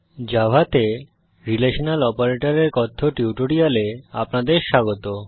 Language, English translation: Bengali, Welcome to the spoken tutorial on Relational Operators in Java